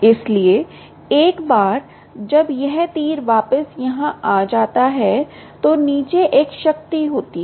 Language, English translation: Hindi, so once it comes to this arrow back here, there is a power down